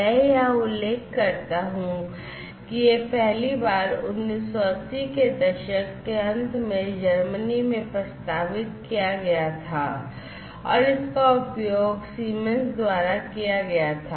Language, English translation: Hindi, So, and incidentally I should mention over here that, this was first proposed in Germany in the late 1980s, and was used by Siemens